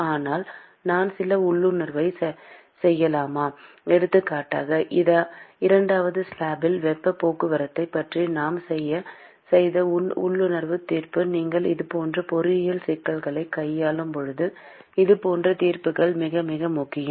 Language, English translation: Tamil, But can I make some intuitive for example, the intuitive judgment we made about heat transport in second slab such kind of judgments is very, very important when you are handling these kinds of engineering problems